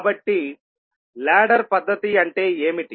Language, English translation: Telugu, So, what does ladder method means